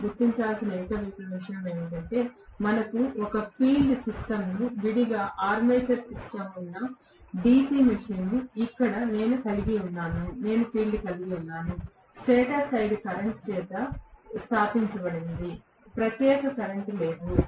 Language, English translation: Telugu, Only thing I want you guys to recognize is that the DC machine we had a field system separately armature system separately, here I am having the field also is established by the stator side current, there is no separate current